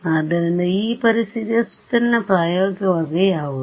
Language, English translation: Kannada, So, what is the practical way around this situation